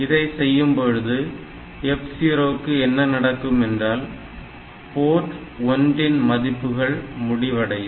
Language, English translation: Tamil, So, if we do this what will happen with this F 0 this Port 1 Port 1 content will be ended